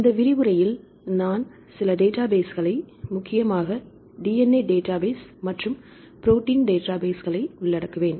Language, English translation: Tamil, So, this lecture I’ll cover few databases mainly the DNA database and protein databases right